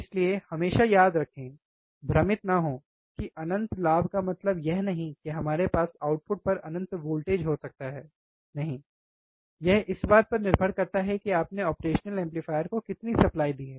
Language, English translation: Hindi, So, this always remember do not get confuse that oh infinite gain means that we can have infinite voltage at the output, no, it depends on how much supply you have given to the operational amplifier, alright